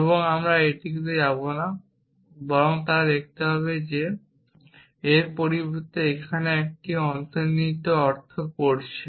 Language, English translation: Bengali, And we will not go in to that but rather they would see that instead reading an implication here